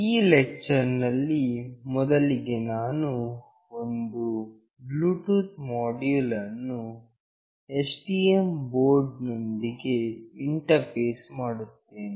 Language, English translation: Kannada, In this lecture, firstly I will be interfacing with the STM board a Bluetooth module